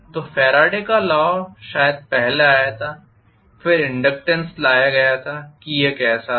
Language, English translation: Hindi, So Faraday's law came first probably and then the inductance was introduced that is how it was